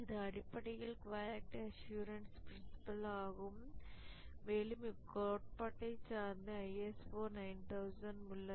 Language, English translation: Tamil, You can see that this is essentially the quality assurance principle and ISO 9,000 is based on the quality assurance model